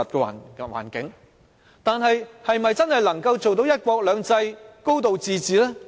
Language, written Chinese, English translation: Cantonese, 然而，香港是否真的能做到"一國兩制"及"高度自治"呢？, Yet are both one country two systems and high degree of autonomy genuinely given full play in Hong Kong?